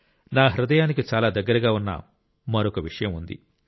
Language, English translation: Telugu, There is another subject which is very close to my heart